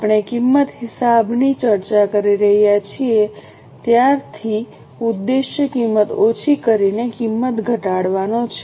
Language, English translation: Gujarati, Since we are discussing cost accounting, the aim is to cut down the cost, aim is to reduce the cost